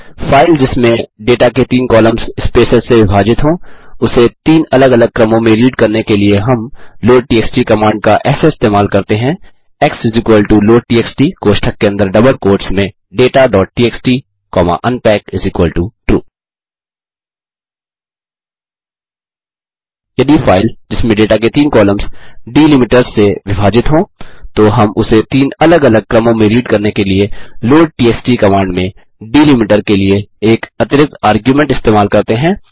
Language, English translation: Hindi, If a file with three columns of data separated by delimiters,we read it into three separate sequences by using an additional argument of delimiter in the loadtxt command x = loadtxt within bracket in double quotes data.txt comma unpack=True comma delimiter=in double quotes semicolon) Hope you have enjoyed this tutorial and found it useful